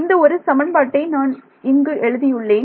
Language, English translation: Tamil, So, I am just trying to write down one equation ok